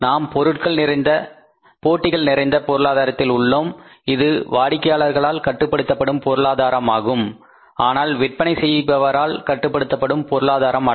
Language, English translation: Tamil, We are in a competitive economy which is called as the economy controlled by the customers not by the sellers